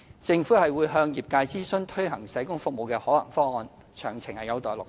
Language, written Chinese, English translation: Cantonese, 政府會向業界諮詢推行社工服務的可行方案，詳情有待落實。, Implementation details are yet to be finalized pending consultation with the sector on feasible options for the roll - out of social work services